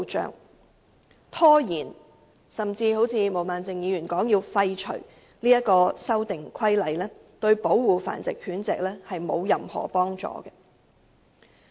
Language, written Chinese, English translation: Cantonese, 因此，拖延實施甚至如毛孟靜議員所說廢除《修訂規例》，對保護繁殖狗隻根本毫無幫助。, In that case postponing or repealing the Amendment Regulation as proposed by Ms Claudio MO can do nothing to help protect the dogs kept for breeding